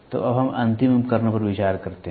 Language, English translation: Hindi, So, now let us look into terminating devices